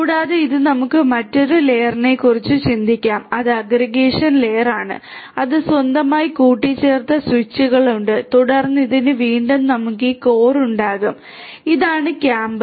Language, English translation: Malayalam, And this one we can think of another layer up which is the aggregation layer which has it is own aggregated switches and then for this one again we will have this core this is the core right